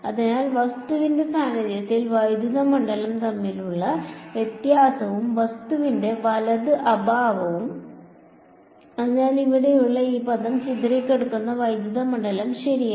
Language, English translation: Malayalam, So, the difference between the electric field in the presence of object and absence of object right; so, this term over here is defined as the scattered electric field ok